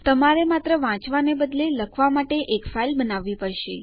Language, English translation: Gujarati, You just have to create a file for writing instead of reading